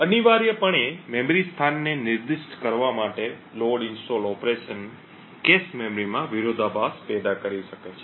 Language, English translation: Gujarati, Essentially the load installed operation to specify memory location could cause conflicts in the cache memory resulting in a variation in the execution time